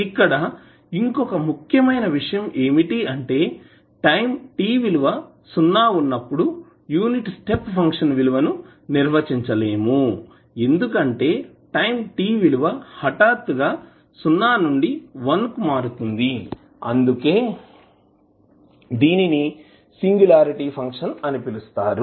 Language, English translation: Telugu, Now, important thing to understand is that unit step function is undefined at time t is equal to 0 because it is changing abruptly from 0 to1 and that is why it is called as a singularity function